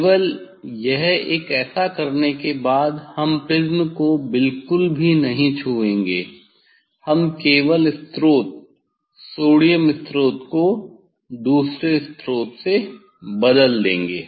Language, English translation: Hindi, only this one after doing this one we will not touch the prism at all, we will just replace the source sodium source with another source